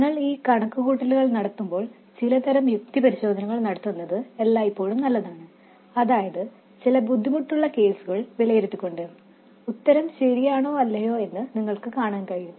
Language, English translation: Malayalam, And also when you carry out these calculations, it is always good to have some sort of sanity checks, some checks where by evaluating some extreme cases you can see whether the answer makes sense or not